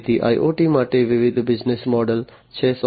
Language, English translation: Gujarati, So, there are different business models for IoT